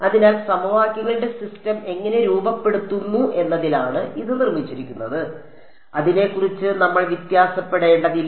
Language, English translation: Malayalam, So, that is built into how we formulate the system of equations, we need not vary about it